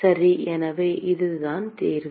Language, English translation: Tamil, Okay, so, that is the solution